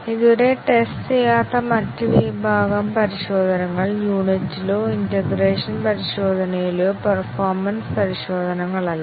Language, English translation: Malayalam, The other category of testing which are so far not been tested, neither in unit or integration testing are the performance tests